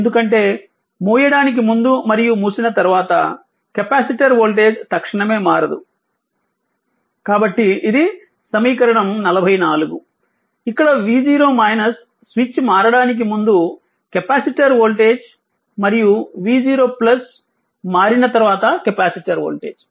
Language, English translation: Telugu, Just your before switching and after switching that I can if voltage ah capacitor voltage cannot change instantaneously, so this is equation 44, where v 0 minus voltage across capacitor just before switching, and v 0 plus voltage across capacitor just after switching right